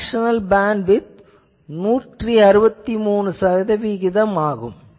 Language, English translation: Tamil, Fractional bandwidth compared to the previous one 163 percent